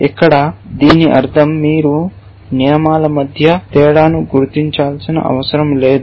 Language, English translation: Telugu, I mean here it you do not have to distinguish between rules